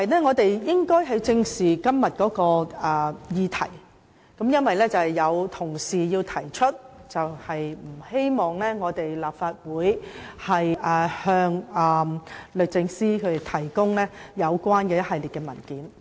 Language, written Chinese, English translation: Cantonese, 我們應該正視今天這項議題，因為有同事提出不希望立法會向律政司提供一系列文件。, We should look at the subject in question squarely because some colleague declared that the Legislative Council should not submit a series of papers to the Department of Justice DoJ